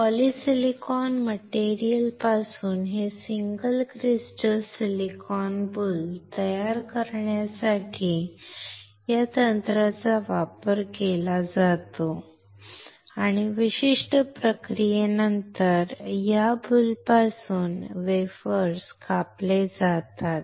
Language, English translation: Marathi, This technique is used to form this single crystal silicon boule from the polysilicon material and the wafers are cut from this boule after certain processes